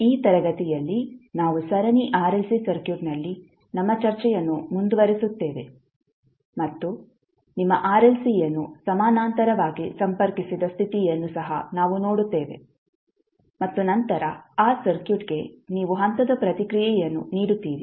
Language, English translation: Kannada, In this class we will continue a discussion on Series RLC Circuit and we will also see the condition when your RLC are connected in parallel and then you provide the step response to that circuit